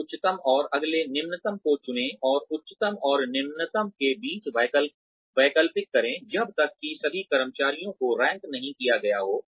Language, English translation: Hindi, Choose the next highest and the next lowest, and alternate between highest and lowest, until all the employees have been ranked